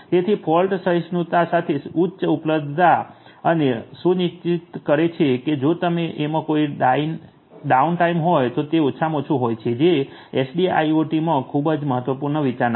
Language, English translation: Gujarati, So, high availability with fault tolerance ensuring there is least downtime if at all there is any these are very important considerations of SDIIoT